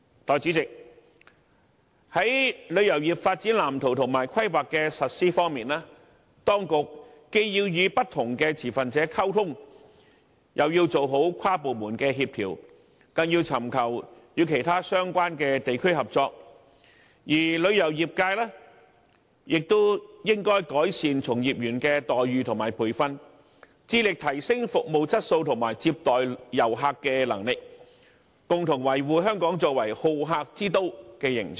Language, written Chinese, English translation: Cantonese, 代理主席，在旅遊業發展藍圖和規劃的實施方面，當局既要與不同持份者溝通，又要完善跨部門協調，更要尋求與其他相關地區合作，而旅遊業界亦應該改善從業員的待遇和培訓，致力提升服務質素和接待遊客的能力，共同維護香港作為好客之都的形象。, Deputy President as far as the implementation of the tourism development blueprint and planning is concerned the authorities must ensure communication with different stakeholders while improving inter - departmental coordination and seeking the cooperation of the relevant districts . On the part of the tourism industry it should improve the remunerations and training of practitioners in order to enhance the service quality as well as receiving capacity . All parties must work concertedly to uphold Hong Kongs image as a hospitable travel destination